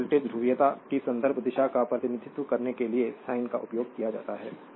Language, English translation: Hindi, So, sines are used to represent reference direction of voltage polarity